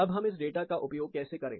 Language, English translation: Hindi, Now, how do we start using this